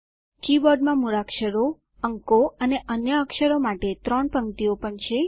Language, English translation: Gujarati, The keyboard also has three rows of alphabets, numerals and other characters